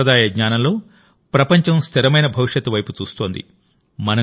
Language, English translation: Telugu, In this traditional knowledge of India, the world is looking at ways of a sustainable future